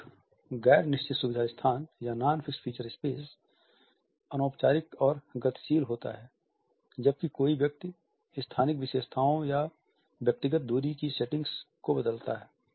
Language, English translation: Hindi, \ A non fixed feature space is informal and dynamic when a person varies the spatial features of setting or inter personal distances